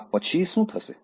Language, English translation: Gujarati, what will happen after this